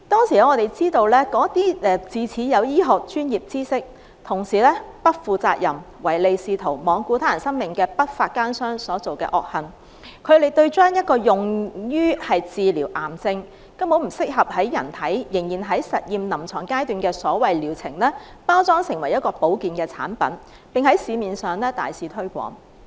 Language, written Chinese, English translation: Cantonese, 據我們所知，那些自恃有醫學專業知識、同時又不負責任、唯利是圖、罔顧他人生命的不法奸商的惡行，是將用於治療癌症、仍然在臨床實驗階段、根本不適合在人體使用的所謂療程，包裝成為保健產品在市面大肆推廣。, As far as we know the case was due to the dishonest practice of the unscrupulous business corporation which flaunted its treatment methods on the basis of its professional medical knowledge for profiteering and in total disregard of human life . The therapy which was still at the stage of clinical study for cancer treatment was unsuitable for using on humans but the corporation packaged the so - called treatment as a health care product and extensively promoted it in the market